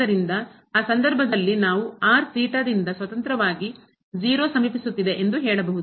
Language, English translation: Kannada, So, in that case we can say if approaching to 0 independently of theta